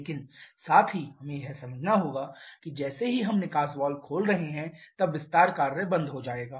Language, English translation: Hindi, But at the same time we have to understand that as soon as we are opening the exhaust valve then the expansion work will start